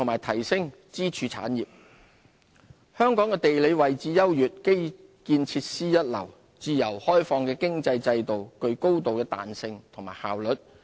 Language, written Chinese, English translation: Cantonese, 香港的地理位置優越、基建設施一流，自由開放的經濟制度具高度彈性和效率。, Situated at a strategic location and with world - class infrastructural facilities Hong Kong boasts a free economic system that is highly flexible and efficient